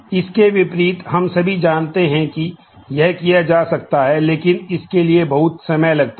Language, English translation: Hindi, In contrast, we all know that this can be done, but takes a whole lot of time it takes order in time